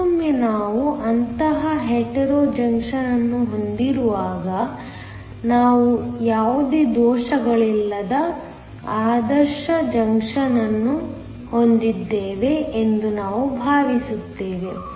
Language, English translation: Kannada, Once again when we have such a Hetero junction, we are going to assume that you have an ideal junction with no defects